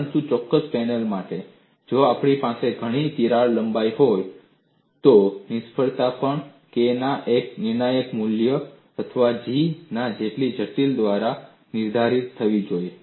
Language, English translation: Gujarati, That is a separate aspect, but for that particular panel, if I have several crack lengths, the failure also should be dictated by one critical value of K or one critical value of G